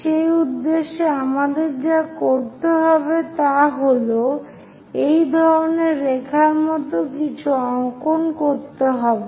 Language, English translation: Bengali, So, further purpose what we have to do is draw something like such kind of line